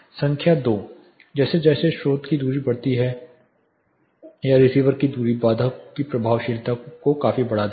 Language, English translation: Hindi, Number 2; as the distance of the source increases or the distance of the receiver increases the effectiveness of barrier of the barrier considerably varies